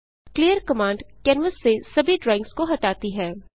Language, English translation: Hindi, clear command cleans all drawings from canvas